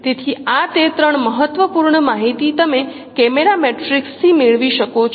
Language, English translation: Gujarati, So this is how these three important information you can get from the camera matrix